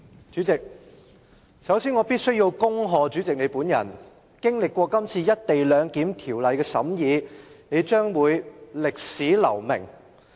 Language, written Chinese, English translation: Cantonese, 主席，首先，我必須恭賀你，經歷過《廣深港高鐵條例草案》的審議，你將會在歷史留名。, President first of all I must congratulate you for your name will certainly be left in history after the scrutiny of the Guangzhou - Shenzhen - Hong Kong Express Rail Link Co - location Bill the Bill